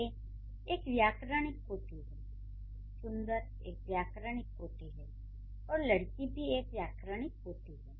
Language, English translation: Hindi, Er is a grammatical category, beautiful is a grammatical category, and girl is a grammatical category